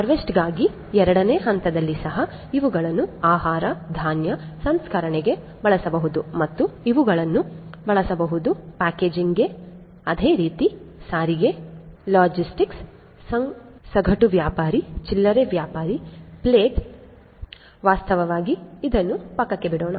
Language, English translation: Kannada, So, not only over here if in step 2 for harvesting also these could be used for food grain processing, again these could be used, for packaging likewise transportation, logistics, wholesaler, retailer, plate not plate actually I mean as let us leave this aside